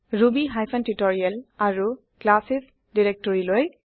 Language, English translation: Assamese, To ruby hyphen tutorial and classes directory